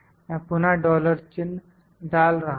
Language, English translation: Hindi, I am putting dollar signs again